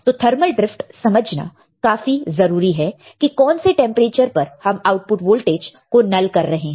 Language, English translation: Hindi, So, it is very important to understand the thermal drift that what temperature you are nullifying your output voltage